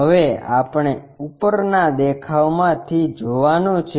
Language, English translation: Gujarati, Now, we want to look at from the top view